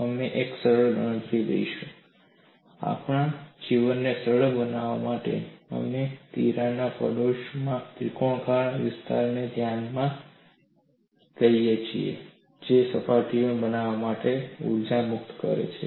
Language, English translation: Gujarati, We will make a simple calculation and to make our life simple, we consider a triangular area in the neighborhood of the crack is what is releasing the energy to form the two new surfaces, it could be any shape